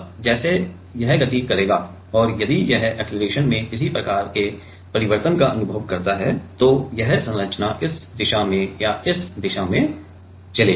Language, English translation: Hindi, Now, as this will move and if it experiences some kind of a change in the acceleration and if it experiences any kind of change in the acceleration, then this structure will like move, in this direction or in this direction right